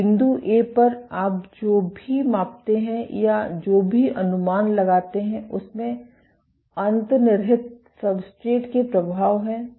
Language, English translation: Hindi, So, at point A, whatever you measure or whatever you estimate has effects of the underlying substrate